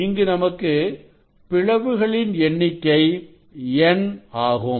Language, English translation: Tamil, here you have N number of slits